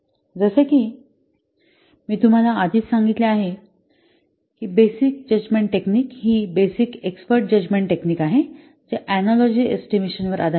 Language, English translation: Marathi, As I have already told you this basic judgment technique is basic export judgment techniques based on the estimation by analogy